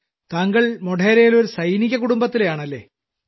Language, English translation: Malayalam, You are in Modhera…, you are from a military family